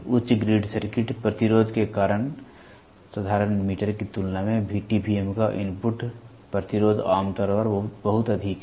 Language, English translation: Hindi, The input resistance of VTVM is usually very high when compared to that of simple meter due to high grid circuit resistance